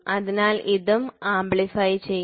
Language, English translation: Malayalam, So, this also will get amplified